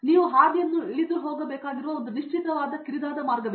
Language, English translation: Kannada, There is a very fixed narrow path you have to walk down that the path